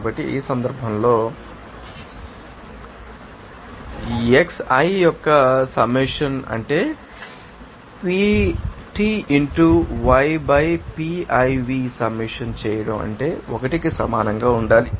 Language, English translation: Telugu, So, in this case summation of xi that means summation of PT into y by Piv that should be equal to 1